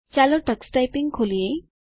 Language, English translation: Gujarati, Lets open Tux Typing